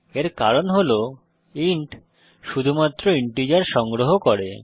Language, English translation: Bengali, That is because int can only store integers